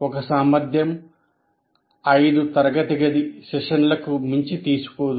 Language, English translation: Telugu, So one competency is, will never take more than five classroom sessions